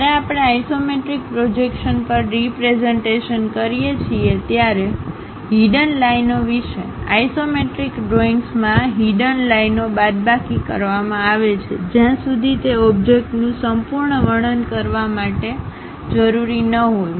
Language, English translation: Gujarati, Regarding hidden lines when we are representing on isometric projections; in isometric drawings, hidden lines are omitted unless they are absolutely necessary to completely describe the object